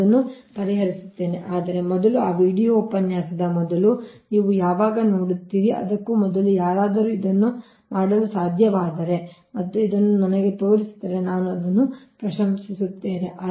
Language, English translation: Kannada, but before that, before those video lecture, when you will see, before that, if anybody can do it and can show this to me, then i will appreciate that, right